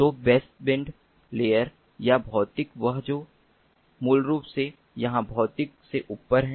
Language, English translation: Hindi, so baseband layer or the physical, the one that is above the physical here basically